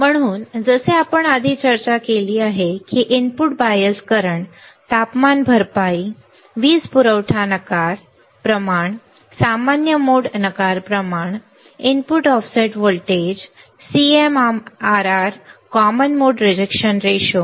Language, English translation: Marathi, So, like we have discussed earlier which are the input bias current right, temperature compensation, power supply rejection ratio, common mode rejection ratio, input offset voltage, CMRR right common mode rejection ratio